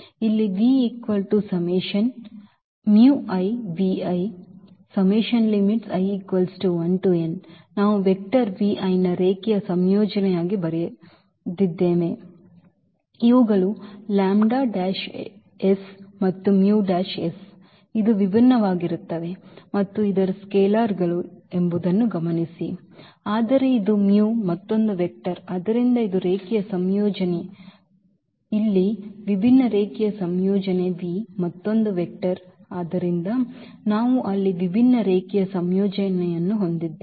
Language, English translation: Kannada, Note that these lambdas and this mus will be different and the other scalars, but this u is another vector so, this is a linear combination, a different linear combination here v is another vector so, we have a different linear combination there